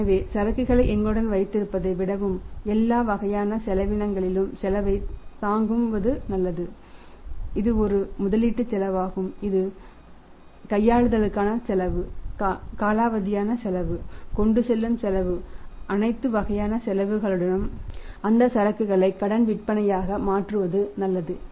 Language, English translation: Tamil, So, they thought of has that rather than keeping the inventory with us and bearing the cost of all kind of cost that is a investment cost carrying cost handling cost of obsolesce cost all kind of the cost is better to convert that inventory into the credit sales